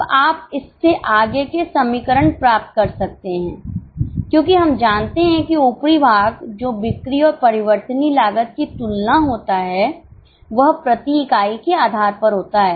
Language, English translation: Hindi, Now you can get further equations from this because we know that the upper portion that is comparison of sales and variable costs changes on per unit basis